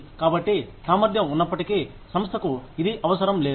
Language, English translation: Telugu, So, even though, the ability is there, the organization does not need it